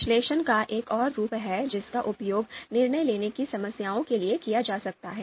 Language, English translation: Hindi, There is another form of analysis that can be used for decision making problems